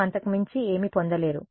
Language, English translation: Telugu, You will not get anything more